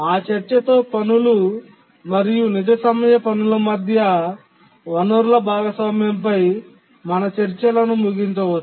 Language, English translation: Telugu, Now with that discussion, let's conclude our discussions on resource sharing among tasks, real time tasks